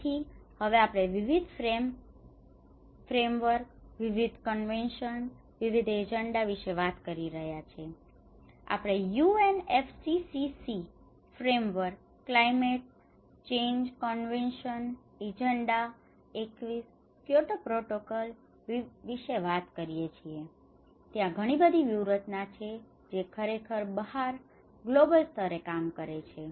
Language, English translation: Gujarati, So that is where we are now talking about various frameworks, various conventions, various agendas, we talk about UNFCCC framework for climate change convention and agenda 21, Kyoto protocol, so there are a lot of strategies which is actually working out as a global level as well